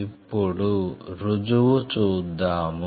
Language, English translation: Telugu, Now, let us see one example